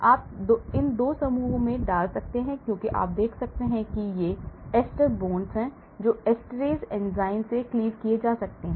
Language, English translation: Hindi, you put in these 2 groups as you can see these are ester bonds which can get cleaved with esterase enzyme